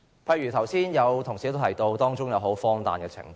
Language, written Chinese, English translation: Cantonese, 剛才有同事提到當中荒誕的情況。, A colleague mentioned an absurd scenario just now